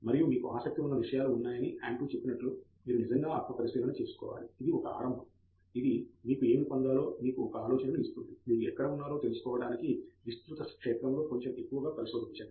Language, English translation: Telugu, And the same goes with the area as well you have to really introspect as Andrew said there are subjects that interest you, but that is just a beginning it is just giving you an idea of what to get into and you have to really probe a bit more into a broad field to figure out where you are